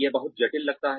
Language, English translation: Hindi, It sounds very complicated